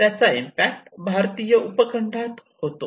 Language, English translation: Marathi, It may have impact in the Indian subcontinent